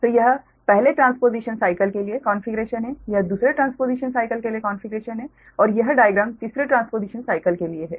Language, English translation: Hindi, so this is the configuration for the first transposition cycle, this is the configuration for the second transposition cycle and this is the diagram for the third transposition cycle